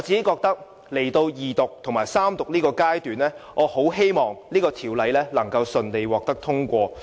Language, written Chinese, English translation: Cantonese, 來到二讀和三讀階段，我很希望《條例草案》順利獲得通過。, As the Bill is now being read the Second and Third time I look forward to the smooth and successful passage of the Bill